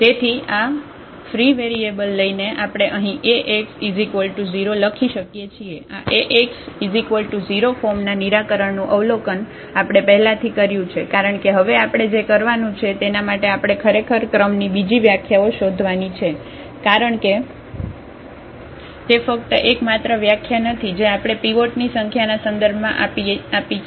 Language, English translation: Gujarati, So, taking this free variables we can write down this Ax is equal to 0, the solution of this Ax is equal to 0 in this form which we have already observed because now what we are going to do we are actually we are looking for the other definitions of the rank because that is not the only definition which we have given in terms of the number of pivots